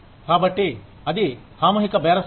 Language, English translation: Telugu, So, it is collective bargaining